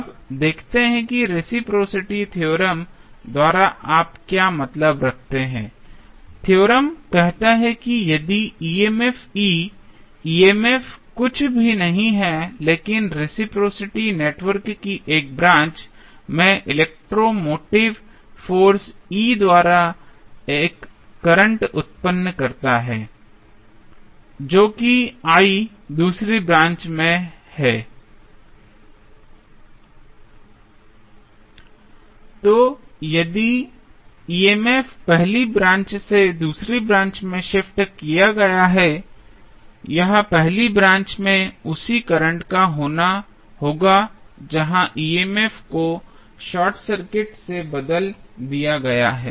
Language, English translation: Hindi, Now, let us see what do you mean by reciprocity theorem the theorem says that if an EMF E, EMF is nothing but electro motive force E in 1 branch of reciprocal network produces a current that is I in another branch, then, if the EMF is moved from first to the second branch, it will cause the same current in the first branch where EMF has been replaced by a short circuit